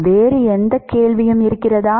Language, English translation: Tamil, Any other question all right